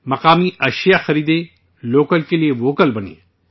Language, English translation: Urdu, Buy local products, be Vocal for Local